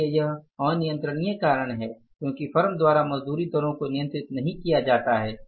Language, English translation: Hindi, So it means this is uncontrollable factor because wage rates are not controlled by the firm